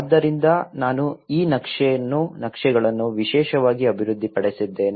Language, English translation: Kannada, So, I have developed these maps especially